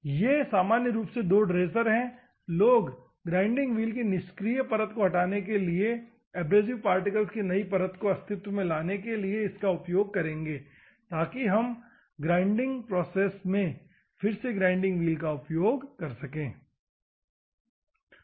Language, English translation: Hindi, These are the two dressers normally; people will use to remove the inactive layer of the grinding wheel to bring out the new layer of abrasive particles into the existence so that we can use the grinding wheel again for the grinding process